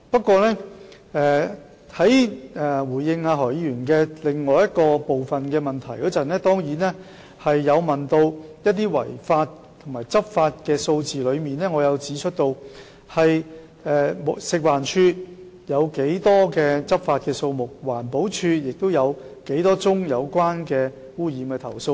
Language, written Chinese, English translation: Cantonese, 剛才在回應何議員另一部分的質詢時，我曾提供有關違法和執法的數字，亦指出食環署的執法數字，以及環境保護署收到多少宗有關污染的投訴。, Just now when I responded to another part of Mr HOs question I provided figures relating to illegalities and enforcement . I also highlighted the figures on enforcement by FEHD and the number of complaints about pollution received by EPD